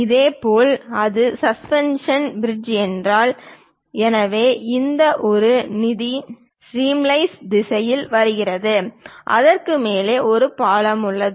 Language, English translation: Tamil, Similarly, if it is suspension bridge; so here this is the river which is coming in the stream wise direction and above which there is a bridge